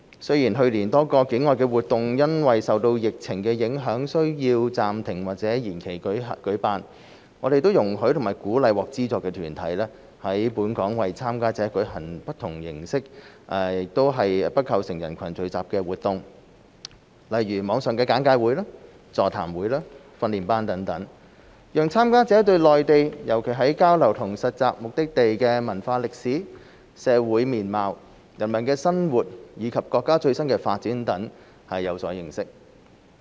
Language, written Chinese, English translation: Cantonese, 雖然去年多個境外活動因受疫情影響需要暫停或延期舉辦，我們容許和鼓勵獲資助團體在本港為參加者舉行不同形式、且不構成人群聚集的活動，如網上簡介會、座談會、訓練班等，讓參加者對內地，尤其交流/實習目的地的文化歷史、社會面貌、人民生活，以及國家最新發展等有所認識。, Although many outbound activities were suspended or postponed in light of the epidemic last year we have permitted and encouraged funded organizations to organize local activities that do not involve crowd gatherings such as online briefing sessions seminars and training courses for participants to learn about the culture history social features peoples way of life and latest development on the Mainland particularly the exchangeinternship destinations